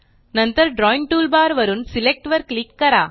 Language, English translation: Marathi, Then, from the Drawing toolbar click Select